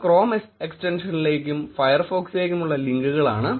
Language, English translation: Malayalam, These are links to the Chrome extension and to the Firefox